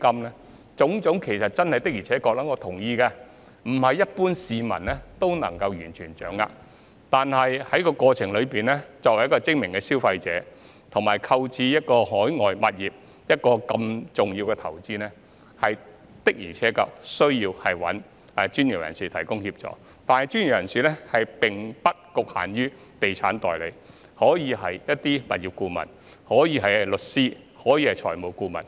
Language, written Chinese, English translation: Cantonese, 對於這種種情況，我同意不是一般市民可以完全掌握得到，但在這過程中，作為精明的消費者，以及作出購買海外物業如此重要的投資決定時，的確需要向專業人士尋求協助，但專業人士並不局限於地產代理，也可以是物業顧問、律師或財務顧問。, In these respects I agree that ordinary members of the public may not be able to grasp all the details but in the process and in making such an important investment decision as purchasing overseas properties smart consumers do need to seek assistance from professionals not only from estate agents for they can also be property consultants lawyers or financial advisers